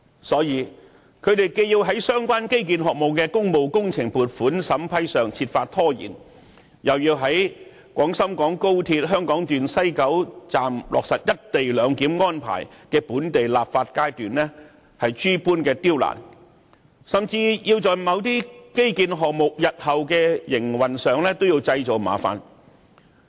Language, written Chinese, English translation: Cantonese, 所以，他們既要在相關基建項目的工務工程撥款審批上設法拖延，又要在廣深港高鐵香港段西九龍站落實"一地兩檢"安排的本地立法階段諸多刁難，甚至在某些基建項目日後的營運上製造麻煩。, Therefore they have to exhaust all ways to delay the public works funding approval of relevant infrastructure projects impede the local legislative exercise for implementing the co - location arrangement at the West Kowloon Station of the Hong Kong Section of the Guangzhou - Shenzhen - Hong Kong Express Rail Link and even create trouble for the future operation of some infrastructure projects